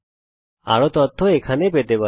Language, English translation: Bengali, More information can be found here